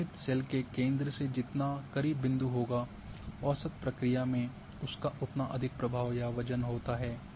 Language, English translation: Hindi, Closer the point is to the centre of the cell being estimated, the more influence or weight it has in the averaging process